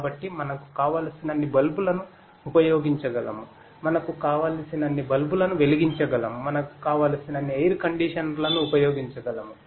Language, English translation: Telugu, So, we can run as many bulbs that we want, we can light as many bulbs that we want, we can run as many air conditioners that we want and so on